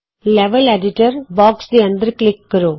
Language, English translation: Punjabi, Click inside the Level Editor box